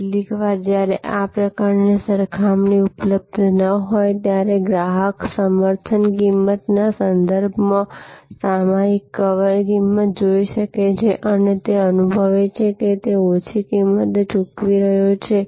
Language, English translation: Gujarati, Some times when this sort of comparison is not available, the customer may look at the cover price of a magazine with respect to the subscription price and feel that, he is paying a lower price